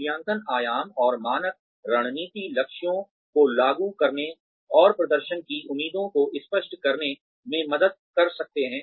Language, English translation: Hindi, Appraisal dimensions and standards, can help to implement strategic goals, and clarify performance expectations